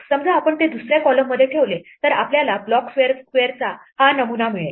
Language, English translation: Marathi, Supposing we put it in the second column, then we get this pattern of block squares